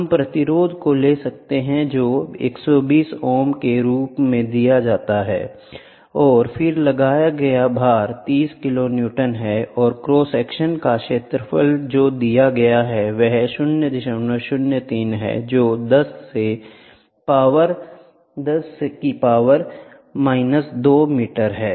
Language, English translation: Hindi, We can take the resistance which is given as 120 ohms and then the load applied is 30 kiloNewton and the area of cross section which is given is 0